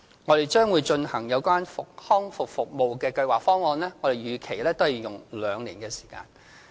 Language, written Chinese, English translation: Cantonese, 我們將會進行有關康復服務的計劃方案，我們也預期須用上兩年的時間。, The Hong Kong Rehabilitation Programme Plan which will soon be formulated is expected to take more than two years